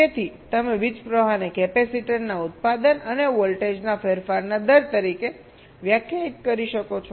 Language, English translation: Gujarati, so you can define the current flowing as the product of the capacitor and the rate of change of voltage